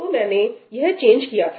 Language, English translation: Hindi, So, this is the change I have made